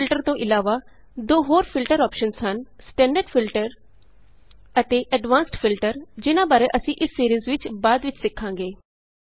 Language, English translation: Punjabi, Apart from AutoFilter, there are two more filter options namely Standard Filter and Advanced Filter which we will learn about in the later stages of this series